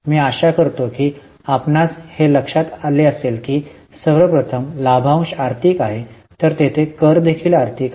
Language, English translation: Marathi, I hope you remember that dividend first of all is financing so tax thereon is also financing